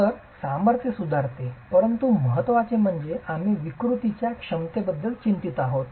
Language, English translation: Marathi, So, strength improves, but more importantly, we are concerned about the deformation capacity